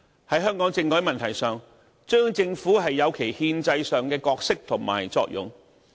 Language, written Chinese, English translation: Cantonese, "在香港政改問題上，中央政府有其憲制上的角色和作用。, The Central Government has its own constitutional role and function in the constitutional reform of Hong Kong